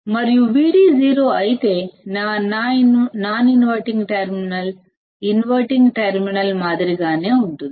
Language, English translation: Telugu, But if my gain is infinite, then Vd will be 0 and if Vd is 0, that means, my non inventing terminal is same as the inverting terminal